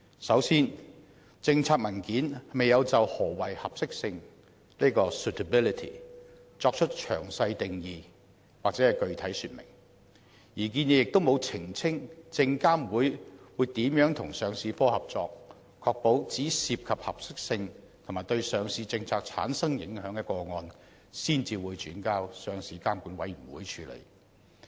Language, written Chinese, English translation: Cantonese, 首先，諮詢文件未有就何謂合適性作出詳細定義或具體說明，而新建議亦沒有澄清證券及期貨事務監察委員會如何與上市部合作，確保只有涉及合適性及對上市政策產生影響的個案才會轉交上市監管委員會處理。, First of all a detailed definition or specific meaning of suitability has not been provided in the consultation paper and neither has a clarification been made under the new proposal of how the Securities and Futures Commission SFC will work in collaboration with the Listing Department so that only cases that have suitability concerns or broader policy implications will be referred to the Listing Regulatory Committee for decision